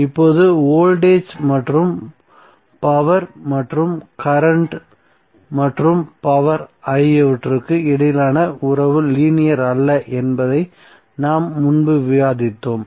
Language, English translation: Tamil, Now that we have discussed earlier that the relationship between voltage and power and current and power is nonlinear